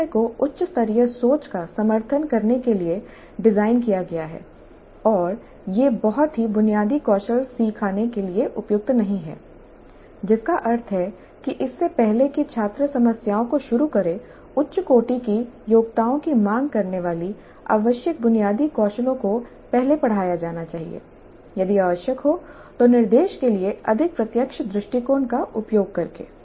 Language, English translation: Hindi, PBI is designed to support higher order thinking and is not appropriate for teaching very basic skills which means that before the students start with problems demanding higher order abilities the basic skills that are required must have been taught earlier if necessary using more direct approach to instruction